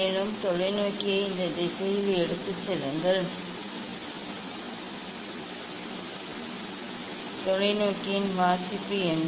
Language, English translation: Tamil, And, then take the telescope in this direction and what is the reading of the telescope